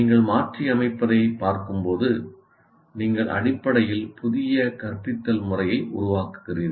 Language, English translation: Tamil, So as you can see when you are tweaking you are creating essentially new instructional method